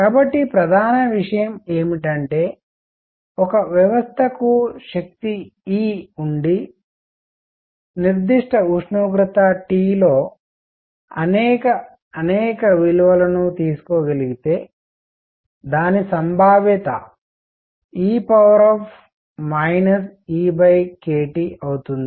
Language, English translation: Telugu, So, the main point is the probability that a system has energy E if it can take many, many values under certain temperature T is e raised to minus E by k T